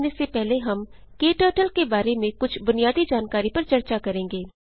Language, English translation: Hindi, Before proceeding, we will discuss some basic information about KTurtle